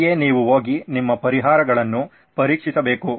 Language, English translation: Kannada, That is where you need to be going and testing your solutions